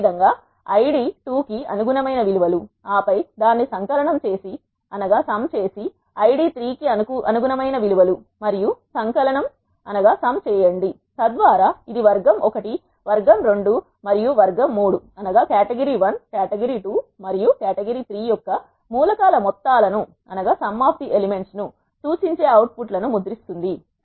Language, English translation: Telugu, Similarly it will take the values corresponding to the Id 2 and then sum it up and values corresponding to the Id 3 and sum it up so that it will print the outputs which are indicating the sums of the elements of category 1, category 2 and category 3